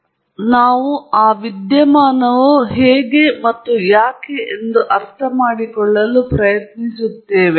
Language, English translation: Kannada, So, we are trying to understand why those phenomena are the way they are